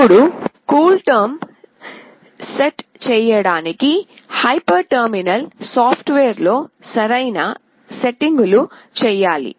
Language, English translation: Telugu, Now, for setting the CoolTerm, proper settings have to be made on the hyper terminal software